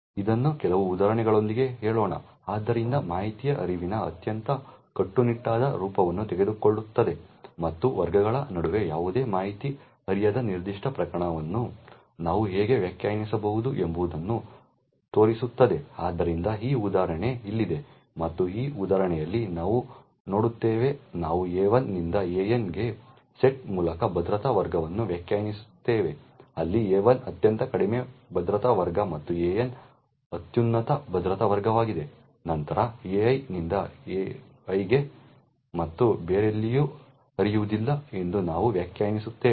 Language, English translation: Kannada, Let say this with some examples, so will take the most strictest form of information flow and show how we can define a particular case where no information can flow between classes, so that is this example over here and what we see in this example is that we define security classes by the set A1 to AN, where A1 is the lowest security class and AN is the highest security class, then we define that information can flow from AI to AI and nowhere else